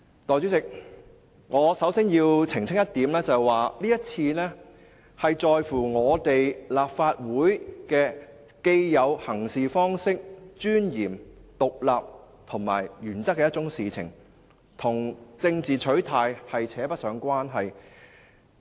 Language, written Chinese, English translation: Cantonese, 代理主席，我首先要澄清一點，這次是一件關乎立法會的既有行事方式、尊嚴、獨立及原則的事情，與政治取態扯不上關係。, Deputy President first of all I wish to clarify one point . The request is about the established practices of the Legislative Council as well as its dignity independence and principles . It has nothing to do with our political stance